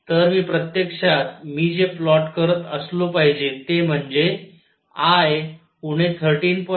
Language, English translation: Marathi, So, I should actually be plotting at I minus 13